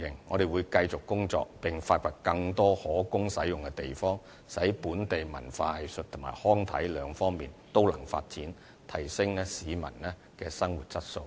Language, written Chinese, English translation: Cantonese, 我們會繼續工作，發掘更多可供使用的地方，使本地文化藝術及康體兩方面都得以發展，提升市民的生活質素。, We will keep making an effort to identify more venues available for use in order to facilitate the development of local culture arts recreation and sports with a view to enhancing Hong Kong peoples quality of living